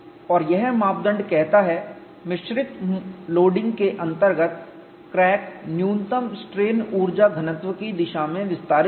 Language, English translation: Hindi, And this criterion says, crack under mixed loading will extend in the direction of minimum strain energy density